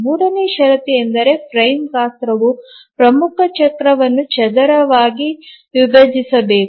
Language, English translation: Kannada, The third condition is that the frame size must squarely divide the major cycle